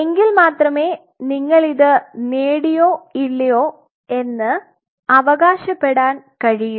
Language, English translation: Malayalam, Then only you will be able to make a claim of whether you have achieved it or not